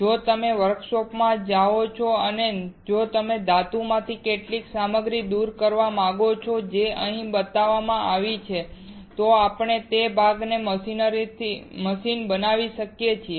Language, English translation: Gujarati, If you go to workshop and if you want to remove this much material from a metal, which is shown here then we can we have to machine that part